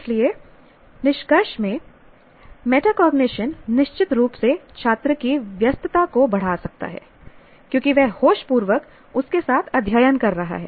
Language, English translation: Hindi, So in conclusion, metacognition can increase student engagement, certainly, because he is consciously getting engaged with what he is studying